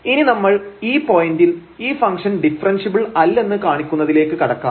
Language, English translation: Malayalam, So, we will now move to show that the function is not differentiable at this point